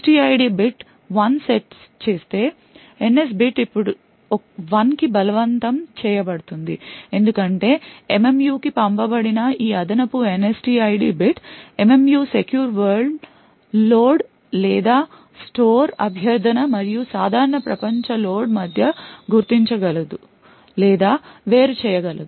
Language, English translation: Telugu, If the NSTID bit set 1 then the NS bit is forced to 1 now this because of this additional NSTID bit which is sent to the MMU the MMU would be able to identify or distinguish between secure world load or store request and a normal world load or store request